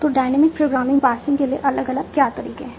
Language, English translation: Hindi, So, what are the different approaches for dynamic programming passing